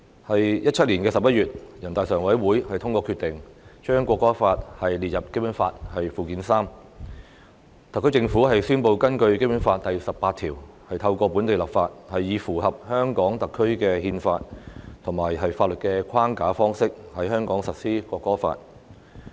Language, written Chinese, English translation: Cantonese, 在2017年11月，人大常委會通過決定，將《國歌法》列入《基本法》附件三，特區政府宣布根據《基本法》第十八條，透過本地立法，以符合香港特區的憲法及法律的框架方式在香港實施《國歌法》。, In November 2017 NPCSC adopted the decision to add the National Anthem Law to Annex III to the Basic Law . The SAR Government then announced the implementation of the National Anthem Law in Hong Kong by way of local legislation consistent with Hong Kongs constitutional and legal framework in accordance with Article 18 of the Basic Law